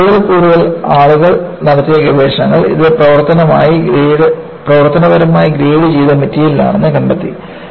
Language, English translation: Malayalam, But, more and more, research people have done, it is found to be a functionally greater material